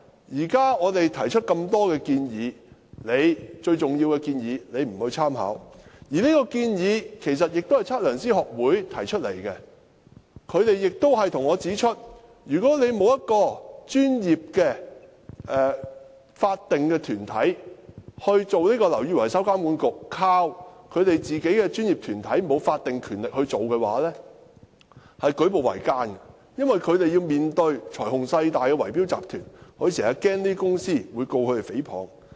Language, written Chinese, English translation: Cantonese, 現在我們提出這麼多建議，其中最重要的一項，政府卻不參考，而這項建議其實是由香港測量師學會提出的，他們向我指出，如果沒有一個專業的法定團體如"樓宇維修工程監管局"，僅依靠他們這個沒有法定權力的專業團體來負責的話，會舉步維艱，因為他們要面對財雄勢大的圍標集團，經常擔心這些公司會控告他們誹謗。, Actually it is an idea of The Hong Kong Institute of Surveyors . They have pointed out to me that every step will be difficult if sole reliance is placed upon their professional body which is not vested with any statutory power to take charge of this matter rather than setting up a professional statutory body such as BMWA . The reason is that they have to face bid - rigging syndicates with enormous financial power and influence and they very often worry that such companies may sue them for libel